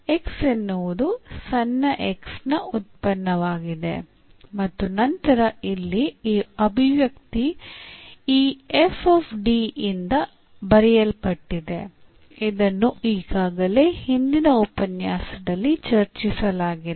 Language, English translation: Kannada, X is a function of small x and then this expression here is written by this f D which has been already discussed in previous lecture